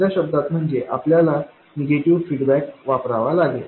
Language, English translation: Marathi, In other words we have to use negative feedback